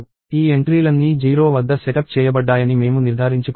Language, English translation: Telugu, We should ensure that all of these entries are set up at 0